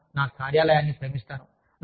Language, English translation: Telugu, I will love my office